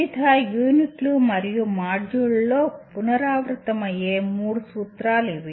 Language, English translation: Telugu, These are the three principles which may keep repeating in various units and modules